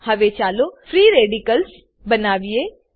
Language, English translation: Gujarati, Now lets create the free radicals